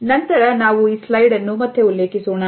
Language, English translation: Kannada, Later on, we would refer to this slide again